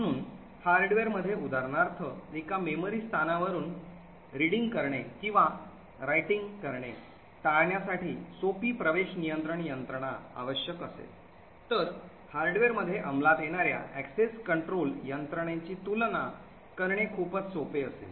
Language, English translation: Marathi, So, in hardware for example a simple access control mechanism to prevent say reading or writing from one memory location would require far less amounts of overheads and far more simple compare to the access control mechanisms that are implemented in the hardware